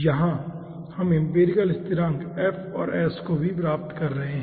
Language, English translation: Hindi, here we are having empirical constant, also this f and s